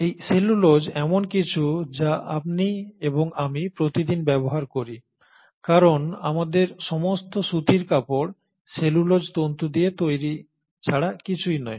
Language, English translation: Bengali, And this cellulose is something that you and I use on a day to day basis because all our cotton clothes are nothing but made up of cellulose fibres